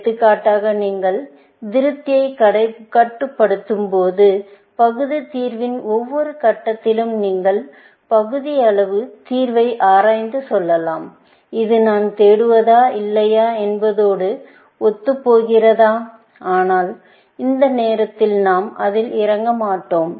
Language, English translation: Tamil, For example, when you do constrain satisfaction, then at each stage of the partial solution, you can inspect the partial solution and say, is this consistent with what I am looking for or not; but we will not get into that at this moment